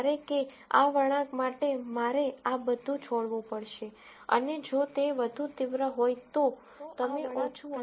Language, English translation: Gujarati, Whereas, for this curve, I have to give up this much and if it is even sharper, then you give up less and less